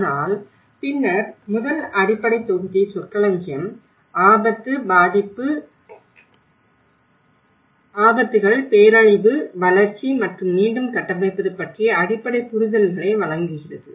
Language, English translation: Tamil, But then, the first basic module gives you the very fundamental understandings of the terminology, risk, vulnerability, hazards, disaster, development and the build back better